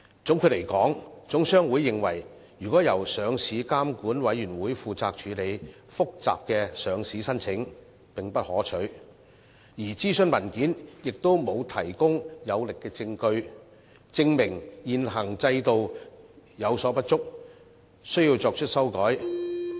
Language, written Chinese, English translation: Cantonese, 總括而言，香港總商會認為由上市監管委員會負責處理複雜的上市申請並不可取，而諮詢文件亦沒有提供有力證據，證明現行制度有所不足，需要作出修改。, In conclusion HKGCC considers that it is not desirable for LRC to handle complicated listing applications . Besides the consultation provides no solid evidence to prove that the existing regime has any shortcomings and needs a change